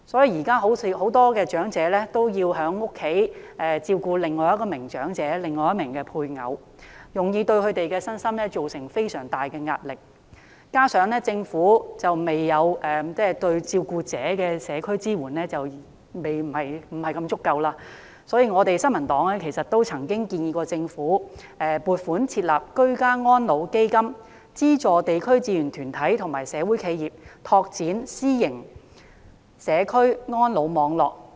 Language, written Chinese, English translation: Cantonese, 現時很多長者都要在家中照顧另一名長者或配偶，對他們的身心造成非常大的壓力，加上政府對照顧者的社區支援不太足夠，所以，新民黨曾建議政府撥款設立"居家安老基金"，資助地區志願團體及社會企業拓展私營社區安老網絡。, At present many elderly persons have to take care of another elderly person or the spouse at home putting them under heavy pressure both physically and mentally . The community support provided by the Government to carers is also inadequate . The New Peoples Party has therefore suggested that the Government should provide funding for setting up a fund for ageing in place which will subsidize voluntary organizations and social enterprises in the development of private networks for ageing in the community